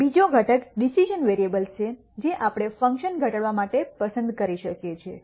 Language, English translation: Gujarati, The second component are the decision variables which we can choose to minimize the function